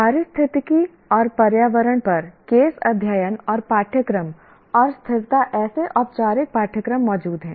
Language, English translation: Hindi, Case studies and courses on ecology and environment and sustainability, such formal courses do exist